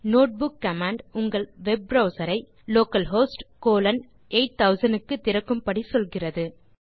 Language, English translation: Tamil, The notebook command gives an instruction telling Open your web browser to localhost colon 8000